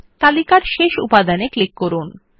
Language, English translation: Bengali, Click on the last item in the list